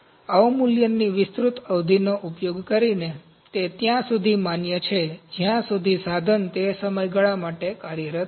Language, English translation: Gujarati, Using an extended period of depreciation, it is valid so long as the equipment remains functional for that time period